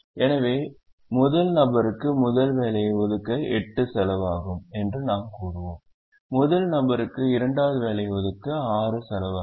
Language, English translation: Tamil, so we would say that it costs eight to allocate the first job to the first person, it costs six to allocate the second job to the first person, and so on